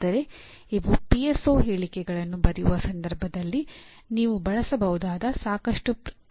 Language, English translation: Kannada, But these are reasonably adequate number of action verbs that you can use in the context of writing PSO statements